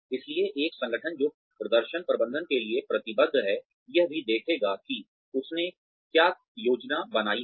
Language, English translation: Hindi, So, an organization, that is committed to performance management, will also look at, what it has planned